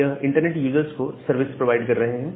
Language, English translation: Hindi, So, they are providing services to these internet users